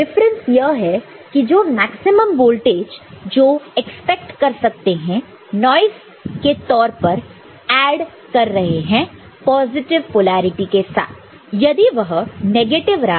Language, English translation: Hindi, The difference is the maximum voltage that can be accepted as noise which is added as with positive polarity if it is negative value – say, 0